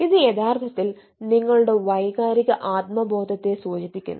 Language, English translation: Malayalam, it is actually e indicating towards your emotional awareness, emotional self awareness